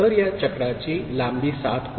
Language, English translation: Marathi, So, this cycle length becomes 7